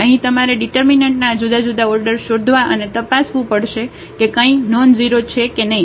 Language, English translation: Gujarati, Here you have to look for these different orders of determinants and check whether something is nonzero